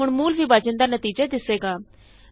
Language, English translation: Punjabi, Now the result of real division is displayed